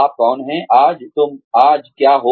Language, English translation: Hindi, Who you are, today